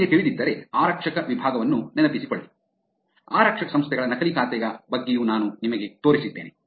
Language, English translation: Kannada, If you know remember the policing section I also showed you about the fake account of police organizations also